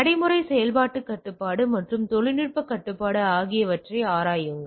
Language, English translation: Tamil, Examine procedural operational control as well as technological control, alright